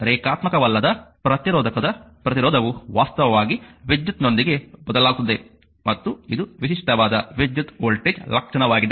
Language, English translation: Kannada, So, resistance of a non linear resistor actually varies with current and typical current voltage characteristic is this is the typical current voltage characteristic